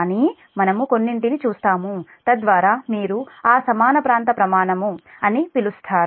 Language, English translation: Telugu, but we will see some so that your what you call that equal area criterion